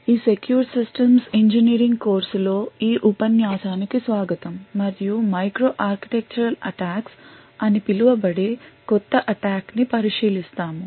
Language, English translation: Telugu, Hello and welcome to this lecture in the course of Secure Systems Engineering in this lecture we will look at a new form of attack known as Micro architectural attacks